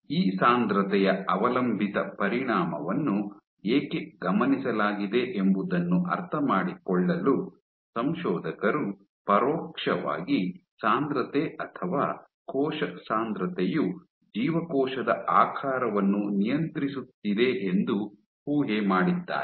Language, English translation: Kannada, So, to understand why this density dependent effect was observed the authors speculated that indirectly density or seeding cell density is regulating cell shape